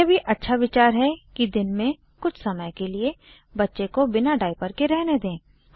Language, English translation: Hindi, Its also a good idea to let the baby go un diapered for part of the day